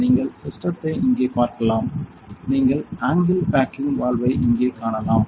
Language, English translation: Tamil, So, you can see the system here; you can see the right angle backing valve here